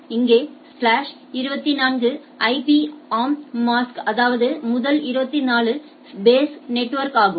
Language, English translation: Tamil, Here slash 24 is the IP yeah is the mask so; that means, it case that first 24 base is the network